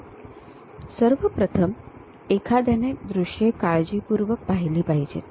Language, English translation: Marathi, So, first of all, one has to visualize the views carefully